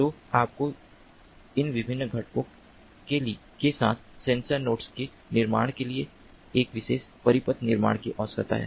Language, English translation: Hindi, so you need to have a particular circuit design for building these sensor nodes with these different components